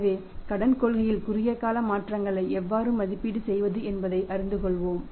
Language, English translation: Tamil, So, let us learn that how to evaluate the short term changes in the credit policy